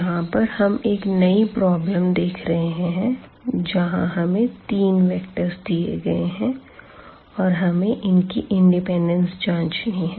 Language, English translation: Hindi, So, here now getting back to this one the new problem we have these three vectors and you want to check the linear independence of these vectors